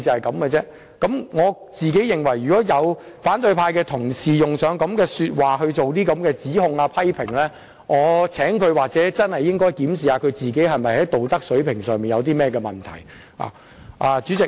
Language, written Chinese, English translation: Cantonese, 我個人認為，反對派同事用上這類說話來作出指控和批評，他應檢視自己的道德水平是否有問題。, In my opinion the opposition colleagues who make such accusations and criticisms with those remarks should consider checking their own moral standard